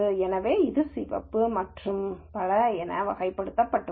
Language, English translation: Tamil, So, this is classified as red and so on